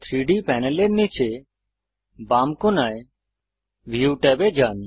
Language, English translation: Bengali, Go to view tab in the bottom left corner of the 3D panel